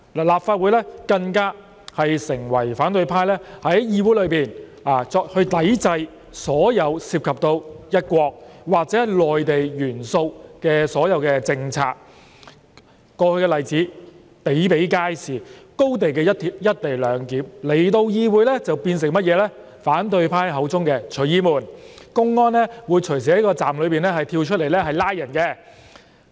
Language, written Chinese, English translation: Cantonese, 立法會更成為反對派在議會內抵制所有涉及"一國"或"內地"元素的政策的地方，過去的例子比比皆是，例如廣深港高鐵香港段的"一地兩檢"來到議會便變為反對派口中的"隨意門"，說公安會隨時在站內跳出來拘捕人。, The Legislative Council had become a stronghold of the opposition camp to resist all policies involving one country or Mainland elements . There have been many past examples . For instance when the Co - Location Arrangement at the Hong Kong Section of the Guangzhou - Shenzhen - Hong Kong Express Rail Link XRL was presented to the legislature it became a random door as claimed by the opposition camp for Mainland public security personnel to pop up at the station and apprehend people arbitrarily